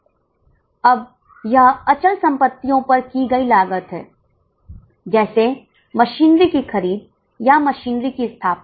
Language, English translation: Hindi, Now this is a cost incurred on fixed assets like purchase of machinery or like installation of machinery